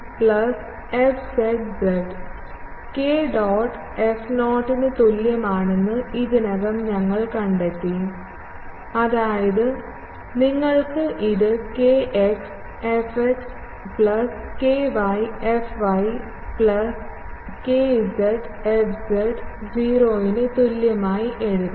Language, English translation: Malayalam, Already, we have found that k dot f is equal to 0 means, that you can write it in terms of kx fx plus sorry, ky fy plus kz fz is equal to 0